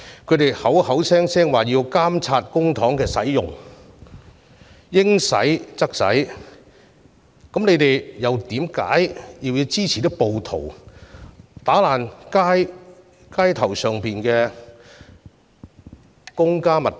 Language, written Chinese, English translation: Cantonese, 反對派口口聲聲說要監察公帑用途，應使則使，但他們為何又要支持暴徒破壞街上的公家物品呢？, Members of the opposition camp claim that they have to monitor the use of public funds to ensure that they are spent appropriately; if that is the case why do they support the rioters vandalizing public facilities on the street?